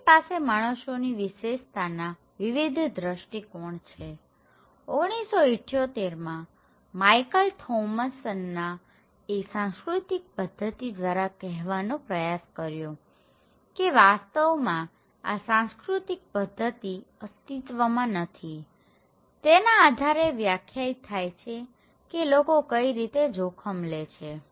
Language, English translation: Gujarati, So, because we have different perspective of human features so, Michael Thomson in 1978 and he was trying to say using this cultural pattern that it is not the cultural pattern that exists and also this cultural pattern actually, through it defines that how people see the risk okay, how people see the risk